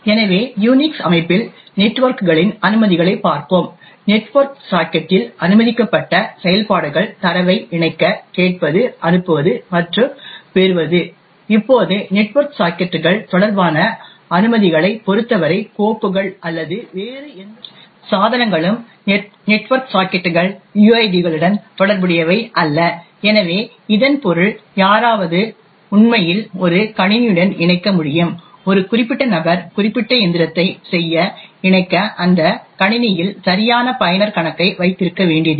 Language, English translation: Tamil, So let us look at the network permissions in a Unix system, the operations permitted on a network socket is to connect, listen, send and receive data, now with respect to permissions related to network sockets is like a unlike files or any other devices, network sockets are not related to uids, so this means anyone can actually connect to a machine, a particular person does not have to have a valid user account on that machine in order to connect to do particular machine